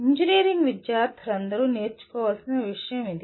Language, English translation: Telugu, This is one thing that all engineering students should learn